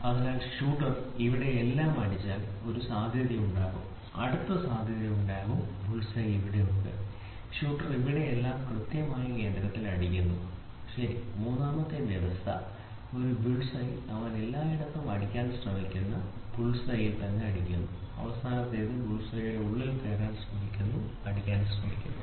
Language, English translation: Malayalam, So, if the shooter hits everything here there can be a possibility, then the next possibility can be there will be, bulls eye is here and the shooter hits everything here exactly at the center, ok, the third the four third condition is this is a bulls eye and he hits at all this round the bulls eye he try to hit and the last one is going to be he tries to inside the bulls eye, he tries to hit